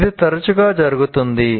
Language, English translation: Telugu, And this often happens